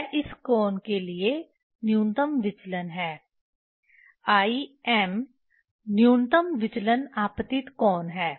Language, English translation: Hindi, This the minimum deviation for this angle i m minimum deviation incident angle